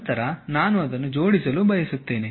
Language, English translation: Kannada, Then, I want to assemble it